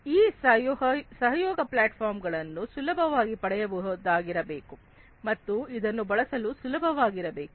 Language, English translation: Kannada, These collaboration platforms should be easily accessible, and this should be easy to use